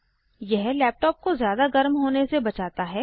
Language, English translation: Hindi, This helps to keep the laptop from overheating